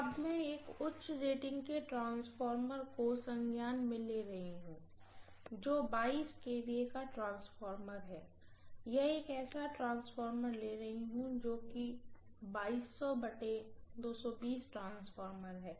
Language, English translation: Hindi, Let me take may be a little higher rated transformer which is 22 kVA transformer, let me take may be 2200 by 220 V transformer, okay